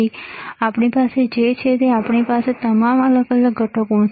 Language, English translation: Gujarati, And what we have is, we have all the discrete components